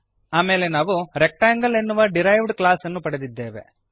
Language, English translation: Kannada, Here we have another derived class as triangle